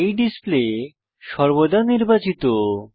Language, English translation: Bengali, By default, this display is always selected